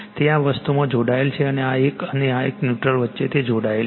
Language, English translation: Gujarati, It is it is connected in this thing and , between this one and this neutral it is connected right